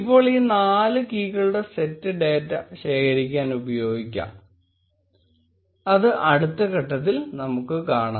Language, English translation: Malayalam, Now this set of four keys can be used to collect data, which we will see in the next step